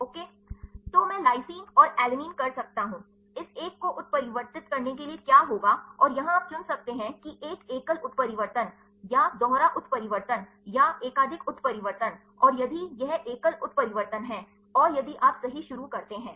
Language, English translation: Hindi, So, I can lysine and alanine, what will happened to mutate this one and, here you can choose where a single mutation, or double mutation, or the multiple mutation and if it is single mutation and if you start right